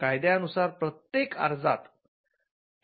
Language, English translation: Marathi, The law requires that every application should have only one invention